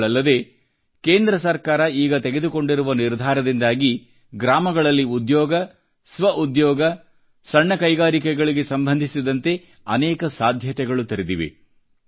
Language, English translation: Kannada, Besides that, recent decisions taken by the Central government have opened up vast possibilities of village employment, self employment and small scale industry